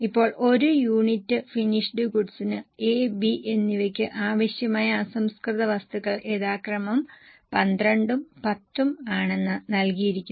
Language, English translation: Malayalam, Now it was given that raw material required of A and B is 12 and 10 respectively for one unit of finished goods